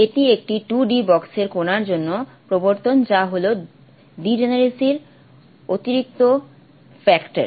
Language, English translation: Bengali, This is the introduction for the particle in a 2D box that the degeneracy is the additional factor